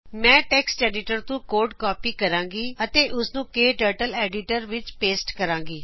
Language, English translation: Punjabi, I will copy the code from text editor and paste it into KTurtle editor